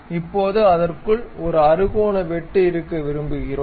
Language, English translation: Tamil, So, now we would like to have a hexagonal cut inside of that